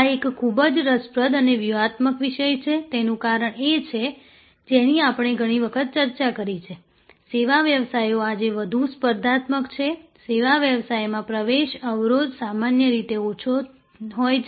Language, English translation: Gujarati, This is a very interesting and strategic topic, the reason is that as we have number of times discussed, service businesses are today hyper competitive, the entry barrier is usually low in service business